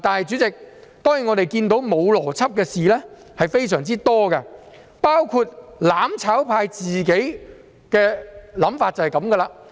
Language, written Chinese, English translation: Cantonese, 主席，當然，我們看到沒有邏輯的事情非常多，"攬炒派"的想法正是這樣。, President of course there are a lot of illogical things which are exactly what the mutual destruction camp wants